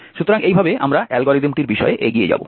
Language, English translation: Bengali, So in this way we will proceed with the algorithm